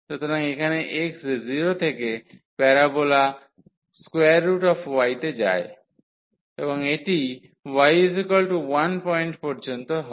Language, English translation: Bengali, So, here x goes from 0 to this parabola which is a square root y, and this is up to the point y is equal to 1